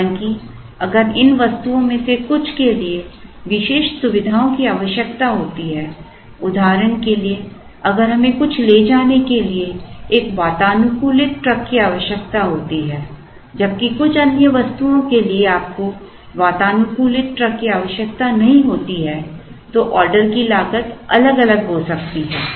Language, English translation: Hindi, However, if some of these items require special features for example, if we require an air conditioned truck to carry something while for some other item you do not need an air conditioned truck then the order cost can vary